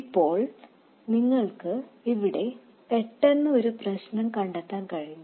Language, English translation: Malayalam, Now you can quickly spot a problem here